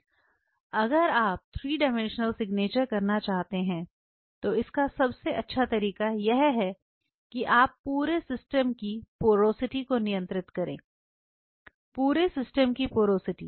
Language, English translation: Hindi, If you wanted to do a 3 dimensional signature then your best way is now you have to control the porosity of the system, porosity of the system and talking about the porosity of the system